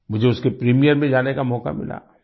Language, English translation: Hindi, I got an opportunity to attend its premiere